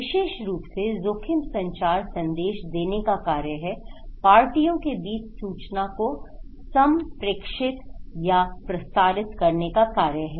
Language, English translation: Hindi, More specifically, risk communication is the act of conveying, is an act of conveying or transmitting information between parties